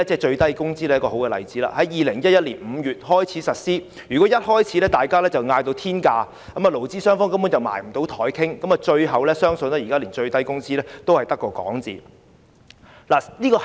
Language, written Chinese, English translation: Cantonese, 最低工資在2011年5月開始實施，如果大家於開始時便開出天價，勞資雙方根本無法坐下商討，相信最終現在連最低工資也只是未能成事。, The minimum wage was implemented in May 2011 . If we all asked for a high minimum wage from start it would have been impossible for the employer and employee representatives to sit down and negotiate; and I believe we would not be able to implement the minimum wage in the end